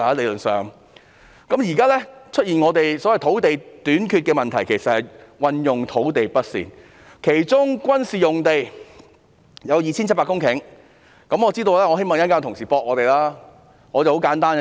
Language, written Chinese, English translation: Cantonese, 目前出現所謂的土地短缺問題，其實源於土地運用不善，其中軍事用地有 2,700 公頃，我希望稍後有同事會反駁我們。, At present the so - called land shortage problem is actually the result of improper use of land . In particular there is 2 700 hectares of land zoned as military sites and I hope that some colleagues will rebut our argument later